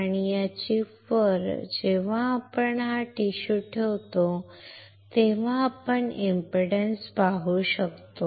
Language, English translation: Marathi, And on this chip when we place a tissue we can see the impedance